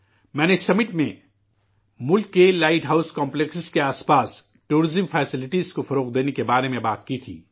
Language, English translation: Urdu, At this summit, I had talked of developing tourism facilities around the light house complexes in the country